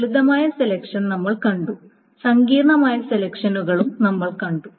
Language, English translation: Malayalam, So we have seen simple selections and we have seen complex selections